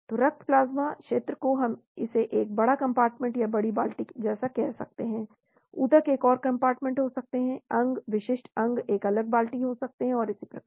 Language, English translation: Hindi, so for the blood plasma region we call it one big compartment or big bucket like, the tissues can be another compartment, organ, specific organs could be another bucket and so on